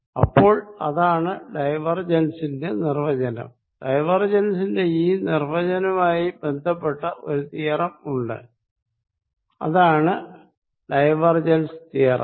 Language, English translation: Malayalam, So, that is the definition of divergence with this definition of divergence there is related theorem and that is called divergence theorem